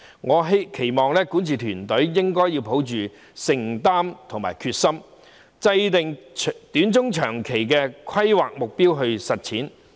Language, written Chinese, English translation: Cantonese, 我期望管治團隊應抱有承擔和決心，制訂短、中，長期的規劃目標來實踐這些願景。, I hope that the governing team should have the commitment and determination to formulate short medium and long term planning objectives to realize these visions